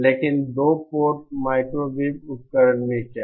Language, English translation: Hindi, But what about a 2 port microwave device